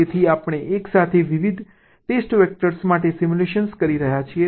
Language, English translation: Gujarati, so we are simulating with different test vectors together